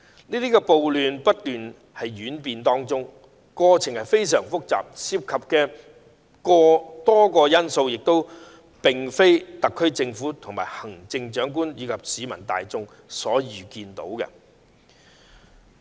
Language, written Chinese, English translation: Cantonese, 這場暴亂不斷演變，過程非常複雜，亦涉及多個因素，這並非特區政府、行政長官及市民大眾可預見的。, These riots and disturbances have continued to develop through a very complicated process with many factors involved . The SAR Government the Chief Executive and the general public have failed to see all this coming